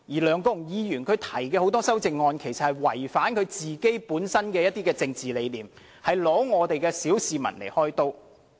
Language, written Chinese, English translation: Cantonese, 梁國雄議員提出的很多項修正案其實違反其本身的政治理念，是拿小市民來開刀。, Many of his amendments are against his own political belief aimed only at victimizing the common masses